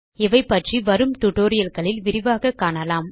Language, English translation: Tamil, We will learn about these in detail in the coming tutorials